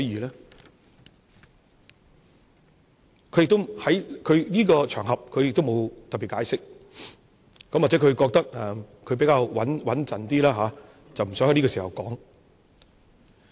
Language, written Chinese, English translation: Cantonese, 他沒有在這個場合特別解釋，也許他認為要比較穩妥，不想在這個時候說。, He has not particularly explained it on this occasion . Maybe he thinks that it is a more prudent approach not to address it at this point